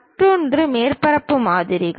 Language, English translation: Tamil, The other one is surface models